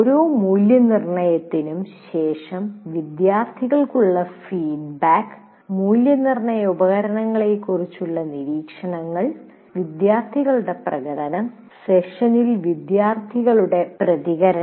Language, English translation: Malayalam, Semester and examination and then feedback to students after every assessment observations on assessment instruments and student performance, student feedback during the session